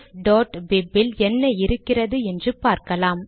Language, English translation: Tamil, let us see what is contained in ref.bib